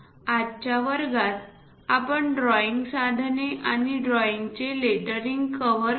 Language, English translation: Marathi, So, in today's class, we have covered drawing instruments and lettering of these drawings